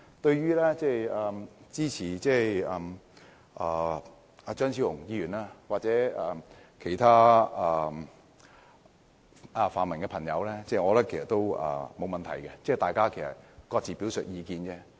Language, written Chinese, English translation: Cantonese, 對於支持張超雄議員的修訂或其他泛民議員的意見，我覺得是沒有問題的，大家各自表述意見。, I think it is fine for people to support Dr Fernando CHEUNGs amendment or the views of other pan - democratic Members . Everyone is entitled to stating their own opinions